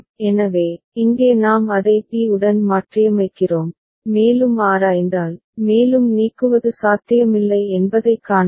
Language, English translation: Tamil, So, here we are replacing that with b and if we examine, we can see that no further elimination is possible